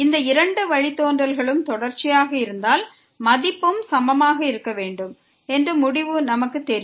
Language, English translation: Tamil, And we know the result that if these 2 derivatives are continuous then the value should be also equal